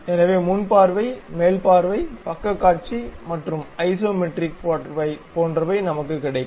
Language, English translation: Tamil, So, something like front view, top view, side view and isometric view we will get